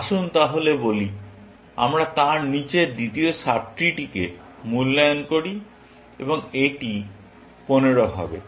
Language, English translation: Bengali, Let us say then, we evaluate the second sub tree below that, and this happens to be 15